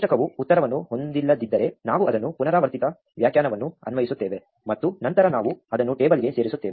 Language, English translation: Kannada, If the table does not have an answer then we apply the recursive definition compute it, and then we add it to the table